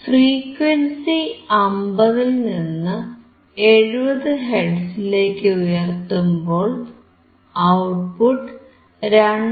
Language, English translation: Malayalam, Now if I increase the frequency from 50 hertz to about 70 hertz, still my output is 2